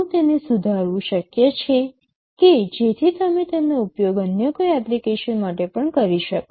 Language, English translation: Gujarati, Is it possible to modify it, so that you can also use it for some other application